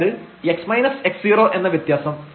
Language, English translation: Malayalam, So, this x so, this is 0